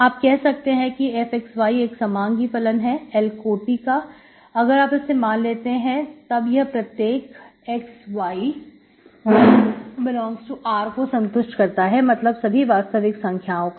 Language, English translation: Hindi, So you say that f of x, y is a homogeneous function of degree L if you have this, this is satisfied for every x, y in R it is given, means full real numbers